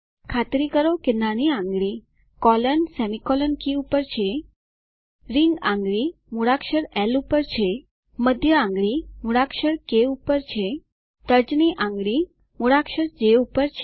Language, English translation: Gujarati, Ensure that the little finger is on the colon/semi colon keystroke, Ring finger on the alphabet L Middle finger on the alphabet K, Index finger on the alphabet J